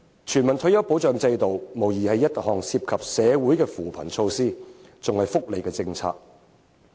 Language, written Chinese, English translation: Cantonese, 全民退休保障制度無疑是一項涉及扶貧的措施，更是福利政策。, Unquestionably the establishment of a universal retirement protection system is an initiative meant for poverty alleviation and is also a welfare policy